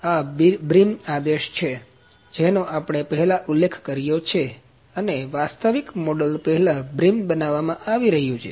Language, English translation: Gujarati, This is the brim command that we mentioned before and brim is being fabricated before actual model